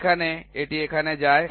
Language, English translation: Bengali, So, from here it goes to here